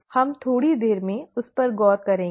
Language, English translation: Hindi, We will, we will look at that in a little while